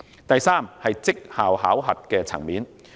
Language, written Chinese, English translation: Cantonese, 第三，績效考核。, Thirdly performance appraisal